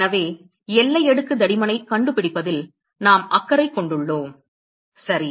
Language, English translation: Tamil, So, that is why we have been concerned about finding the boundary layer thickness ok